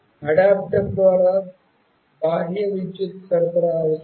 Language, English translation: Telugu, An external power supply through an adapter is required